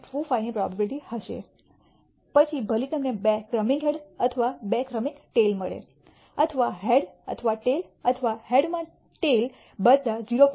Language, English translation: Gujarati, 25, whether you get two successive heads or two successive tails or a head or a tail or a tail in the head all will be 0